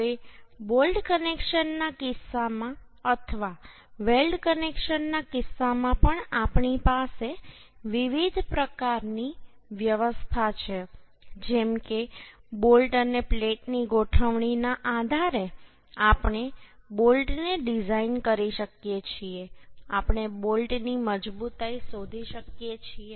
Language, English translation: Gujarati, in case of bolt connections or in case of weld connections also, we have different type of arrangements, like depending upon arrangement of bolts and plates, we can design the bolt